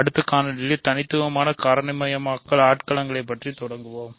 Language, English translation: Tamil, In the next video, we will start learning about unique factorisation domains